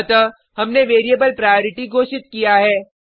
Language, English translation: Hindi, So we have declared the variable priority